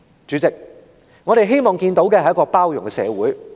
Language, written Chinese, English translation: Cantonese, "主席，我們希望看到的，是一個包容的社會。, End of quote President we wish that our society is an inclusive one